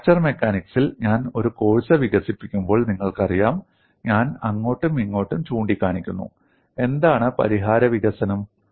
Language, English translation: Malayalam, When I am developing a course in fracture mechanics, I am pointing out then and there, what is a kind of solution development